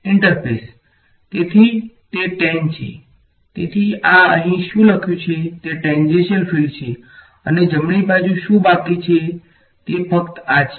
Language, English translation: Gujarati, The interface; so, it is the tan so this what is written over here this is exactly the tangential fields and what is left on the right hand side is simply this thing